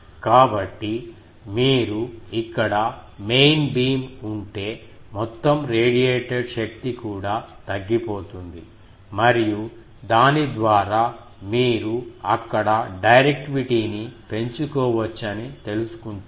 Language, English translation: Telugu, So, if you protrude main beam here, the total radiated power also will go down and by that they are known that you can increase the directivity there